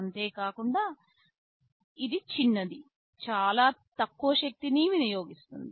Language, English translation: Telugu, It is small, it also consumes very low power